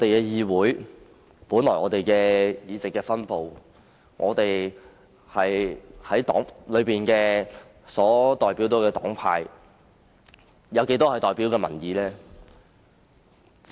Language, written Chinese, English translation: Cantonese, 議會內議席的分布代表着不同的黨派，而其中一部分是代表民意的。, The seats of this Council are distributed among various political parties and some seats represent public opinion